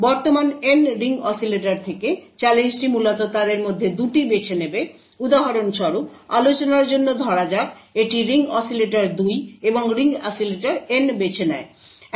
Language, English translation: Bengali, So out of the N ring oscillator present, the challenge would essentially pick 2 of them for example, let us say for discussion it picks say the ring oscillator 2 and ring oscillator N